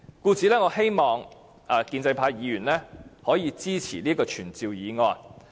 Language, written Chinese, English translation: Cantonese, 因此，我希望建制派議員可以支持這項傳召議案。, Therefore I hope that the pro - establishment Members will support this summoning motion